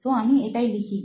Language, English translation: Bengali, So I write that thing